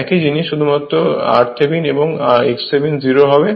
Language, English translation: Bengali, So, its equivalent is r Thevenin plus j x Thevenin right